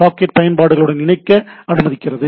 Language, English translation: Tamil, So socket is allows us to connect to applications